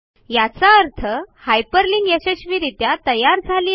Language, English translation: Marathi, This means that the hyperlinking was successful